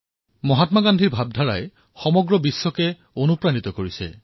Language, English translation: Assamese, Mahatma Gandhi's philosophy has inspired the whole world